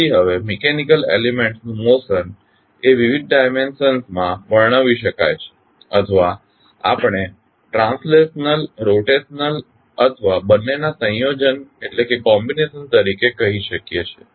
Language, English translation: Gujarati, So, now the notion of mechanical elements can be described in various dimensions or we can say as translational, rotational or combination of both